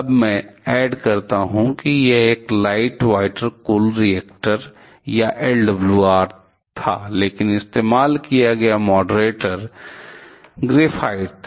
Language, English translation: Hindi, Then let me add it was a light water cooled reactor or LWR, but the moderator that was used was graphite